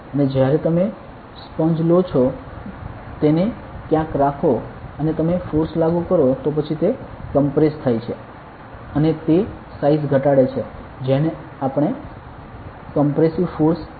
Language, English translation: Gujarati, And you take a sponge is keep it somewhere and you apply force then it compresses right and it reduces the size this is called as compressive force ok